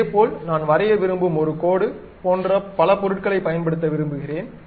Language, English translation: Tamil, Similarly, I would like to use multiple objects something like a line I would like to draw